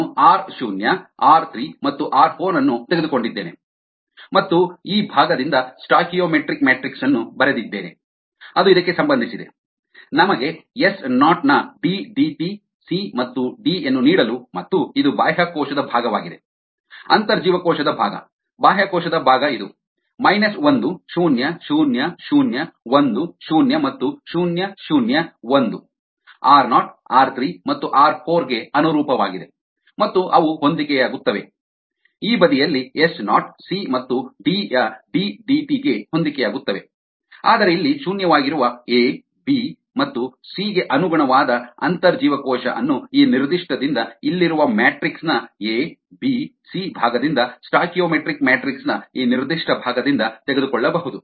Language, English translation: Kannada, ok, i just take in r zero, r three and r four and returns the stoichiometric matrix from this part with this is relevant to that, to give us d, d, t of s, naught, c and d, and this is for the extracellular part, the intracellular part of the extracellular part, as this: minus one zero, ah, zero, zero, one zero and zero, zero, one corresponding to r, naught, r three and r four, and they correspond, correspond on this side to d, d, t of s, naught, c and d, where, as intercellular, which corresponds to a, b and c, which are actually zero here, can be taken from this particular ah, from the a, b, c part of the matrix here, this particular part of the stoichiometric matrix